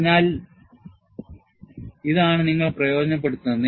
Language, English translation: Malayalam, So, this is what you take advantage